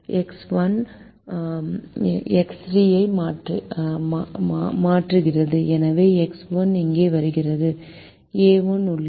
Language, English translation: Tamil, x one is replacing x three, so x one comes here, a one remains the value of the objective function